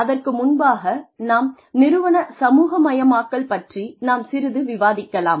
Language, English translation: Tamil, And before that, we will have a little bit of discussion on, organizational socialization